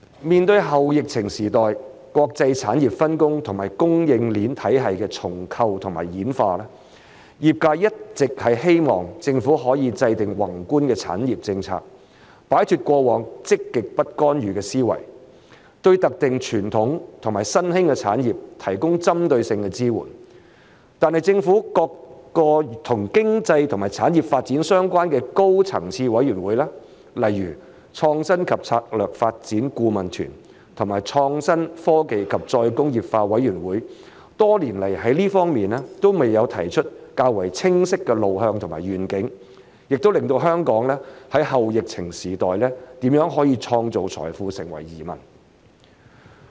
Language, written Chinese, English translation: Cantonese, 面對後疫情時代國際產業分工和供應鏈體系的重構和演化，業界一直希望政府可以制訂宏觀的產業政策，擺脫過往積極不干預的思維，對特定傳統和新興的產業提供針對性支援，但是政府各個與經濟和產業發展相關的高層次委員會，例如創新及策略發展顧問團和創新、科技及再工業化委員會，多年來在這方面都沒有提出較為清晰的路向和願景，也令到香港在後疫情時代如何可以創造財富成為疑問。, In preparation for the restructuring and evolution of the international industrial division and supply chain systems in the post - pandemic era the industry has been longing for the Government to formulate a macro - industrial policy that provides targeted support to specific traditional and emerging industries breaking away from the past mentality of positive non - intervention . However over the years the Governments high - level committees on economic and industrial development such as the Council of Advisers on Innovation and Strategic Development and the Committee on Innovation Technology and Re - industrialisation have not come up with any clearer way forward and vision in this regard . It remains in question how Hong Kong can create wealth in the post - pandemic era